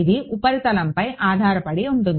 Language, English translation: Telugu, It depends on the surface